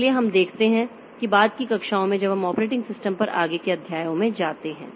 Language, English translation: Hindi, So, we look that in subsequent classes as we go into the further chapters on the operating system